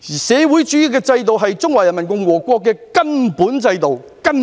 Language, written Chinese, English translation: Cantonese, 社會主義制度是中華人民共和國的根本制度。, The socialist system is the fundamental system of the Peoples Republic of China